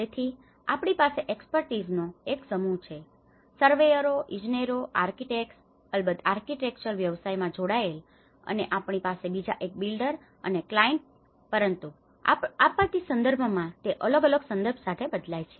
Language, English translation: Gujarati, So, we have a set of expertise, the surveyors, the engineers, the architects, of course in the architectural profession, we have another one the builder and the client, but in a disaster context it varies with the context in the context